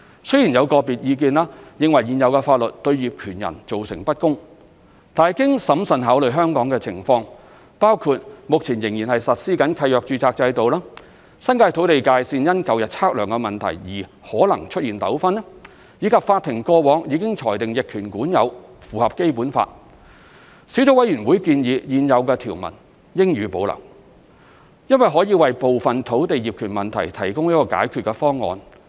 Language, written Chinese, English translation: Cantonese, 雖然有個別意見認為現有法律對業權人造成不公，但經審慎考慮香港的情況，包括目前仍實施契約註冊制度、新界土地界線因舊日測量問題而可能出現糾紛，以及法庭過往已裁定逆權管有符合《基本法》，小組委員會建議現有條文應予保留，因為可以為部分土地業權問題提供解決方案。, Although some individual views considered the existing laws unfair to landowners after careful consideration of the situation in Hong Kong including the deeds registration system still in operation the possible disputes in land boundaries in the New Territories due to surveying methods in the past and that adverse possession has been held by the court to be consistent with the Basic Law the Sub - committee recommended that the existing provisions be retained since they offer a solution to some of the land title problems . In addition the Sub - committee was of the view that the laws of adverse possession should be reviewed upon implementation of the title registration system introduced by the Land Titles Ordinance Cap . 585 in the future